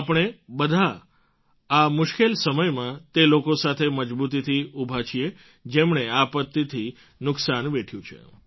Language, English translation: Gujarati, Let us all firmly stand by those who have borne the brunt of this disaster